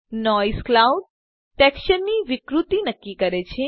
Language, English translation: Gujarati, Noise determines the distortion of the clouds texture